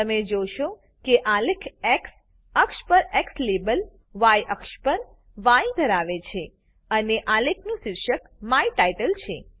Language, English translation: Gujarati, Now you see that the x axis label is X axis , Y axis and the title is My title